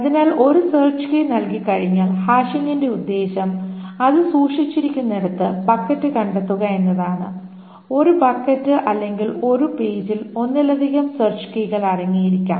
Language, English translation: Malayalam, So once a search key is given, the point of the hashing is to find the bucket where it is stored and a bucket or a page can contain multiple search keys